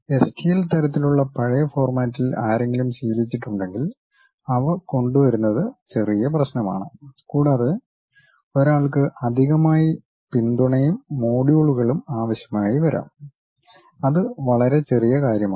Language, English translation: Malayalam, But if someone is accustomed to old kind of format like STL kind of forms, then importing those things slight issue and one may require additional supports and modules which is very minor thing